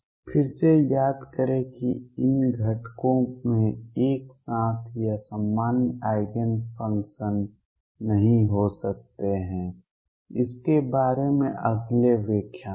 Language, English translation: Hindi, Again recall that these components cannot have simultaneous or common eigen functions; more on that in the next lecture